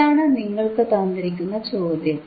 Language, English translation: Malayalam, tThis is the question given to you